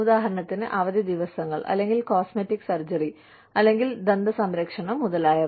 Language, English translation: Malayalam, For example, the vacation days, or cosmetic surgery, or dental care, etc